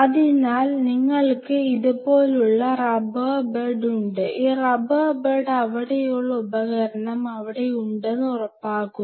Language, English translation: Malayalam, So, you have the rubber bed like this, this rubber bed ensures that the instrument which are there